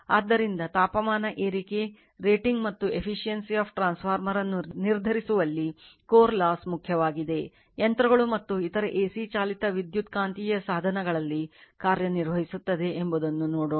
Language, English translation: Kannada, So, core loss is important in determining temperature rise, rating and efficiency of transformer, we will see that right, machines and other your AC operated electro your what you call AC operated in electromagnetic devices